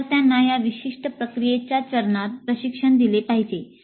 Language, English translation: Marathi, The students must be trained in this particular process step